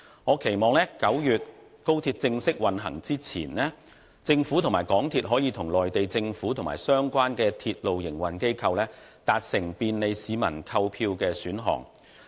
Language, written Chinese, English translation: Cantonese, 我期望在9月高鐵正式運行前，政府及港鐵公司可與內地政府及相關鐵路營運機構達成便利市民的購票選項。, I hope that before the formal commissioning of XRL in September the Government and MTRCL can reach a consensus with the Mainland Government and railway operators concerned on the ticketing options for the convenience of people